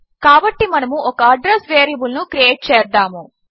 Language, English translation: Telugu, So, we will create an address variable